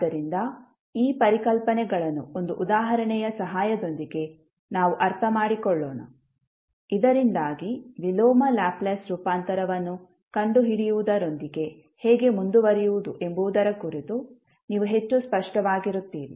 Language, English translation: Kannada, So, to understand these concepts, let us understand with the help one example, so that you are more clear about how to proceed with finding out the inverse Laplace transform